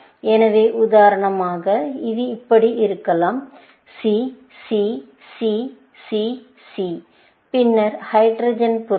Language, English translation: Tamil, So, for example, it could be like this; C, C, C, C, C; and then, the hydrogen items